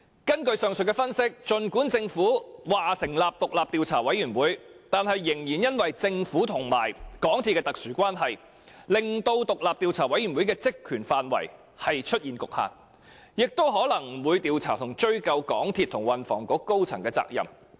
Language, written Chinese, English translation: Cantonese, 根據上述分析，儘管政府已成立獨立調查委員會，但政府與港鐵公司的特殊關係，卻令該委員會的職權範圍出現局限，以致它可能不會調查和追究港鐵公司和運輸及房屋局高層的責任。, According to the above analysis despite the Governments establishment of the independent Commission of Inquiry the peculiar relationship between the Government and MTRCL will cause the Commissions terms of reference to be limited to such an extent that it may not look into and pursue the accountability of the senior officers of MTRCL and the Transport and Housing Bureau